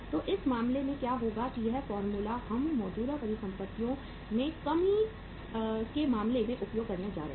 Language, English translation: Hindi, So what will happen in this case that this formula we are going to use in case of decrease in current assets